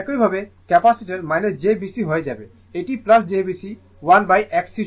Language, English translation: Bengali, Similarly, capacitor will become jB C it is plus right jB C equal to 1 upon X C